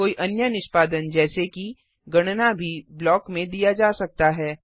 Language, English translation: Hindi, Any other execution like calculation could also be given in the block